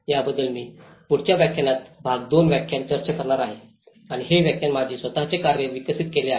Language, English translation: Marathi, Which I will be discussing in the next lecture in the part 2 lecture and this lecture is developed my own work